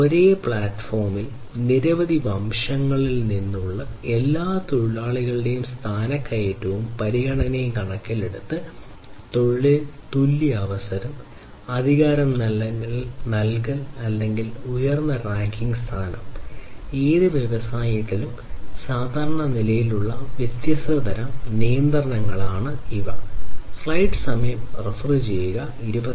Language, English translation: Malayalam, Equal opportunity in employment in terms of promotion and consideration of all workers from different ethnicity in the equal platform, provisioning of authority or higher ranking position; so, these are different types of classes of regulations that are typically there in any industry